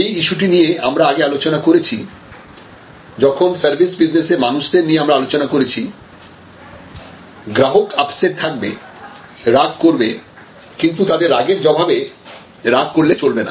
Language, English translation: Bengali, This is the issue that we are discussed earlier when we discussed about people issues in services, but the customer will be upset, customer will be angry and that anger should not be responded with anger